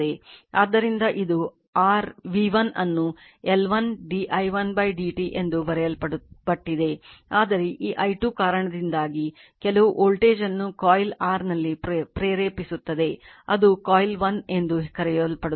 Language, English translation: Kannada, So, this is for your v 1 you write L 1 d i1 upon d t it is written then, but due to this i 2 that some you are voltage will be induced in the coil your what you call coil 1